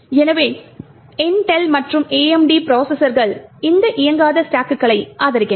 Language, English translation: Tamil, So, both Intel and AMD processors support these non executable stacks